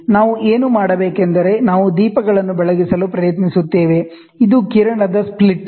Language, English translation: Kannada, So, what we do is we try to illuminate lights, this is the beam splitter